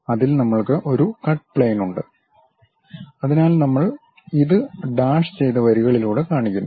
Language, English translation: Malayalam, On that we have a cut plane, so we show it by dashed lines